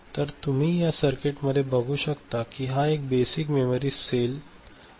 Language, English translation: Marathi, So, the circuit that you can see, now this is the basic memory cell ok